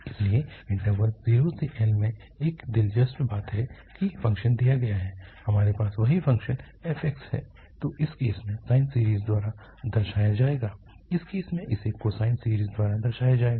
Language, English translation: Hindi, But what is interesting that in the, in the interval 0 to L, where the function is given, we have the same function f x which in this case will be represented by the sine series, in this case, it will be represented by the cosine series